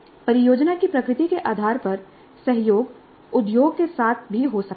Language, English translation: Hindi, Depending upon the nature of the project, collaboration could also be with the industry